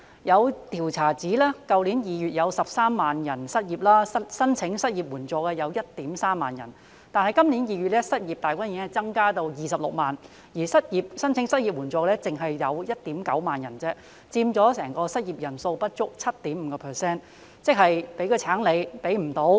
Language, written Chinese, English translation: Cantonese, 有調查指去年2月有13萬人失業 ，13,000 人申請失業援助；但今年2月，失業大軍已增至26萬人，而申請失業援助的卻只有 19,000 人，佔整體失業人數不足 7.5%。, A survey indicates that there were 130 000 unemployed persons with 13 000 applicants for unemployment assistance as in February last year; yet in this February the number of unemployed persons increased to 260 000 with only 19 000 applicants for unemployment assistance accounting for less than 7.5 % of the overall unemployment population